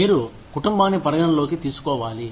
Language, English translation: Telugu, You have to take, the family into account